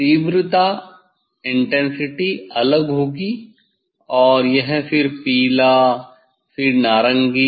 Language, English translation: Hindi, intensity will be different and this then yellow then orange